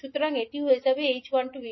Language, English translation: Bengali, So it will become h12 V2